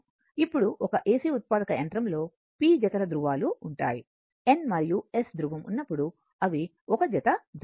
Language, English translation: Telugu, Now if an AC generator has p pairs of poles right when you have N pole and S pole, right